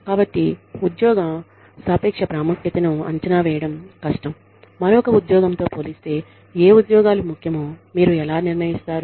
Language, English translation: Telugu, So, evaluation of relative importance of jobs is difficult, how do you decide which job is more important than another